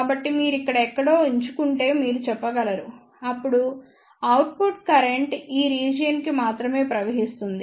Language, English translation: Telugu, So, you can say if you select somewhere here then the output current will flow only for this region